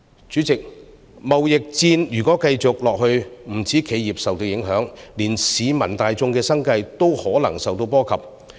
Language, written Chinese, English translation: Cantonese, 主席，如果貿易戰繼續下去，不止企業受到影響，連市民大眾的生計也可能受到波及。, President if the trade war continues not only will the enterprises be affected even the livelihood of the public may be affected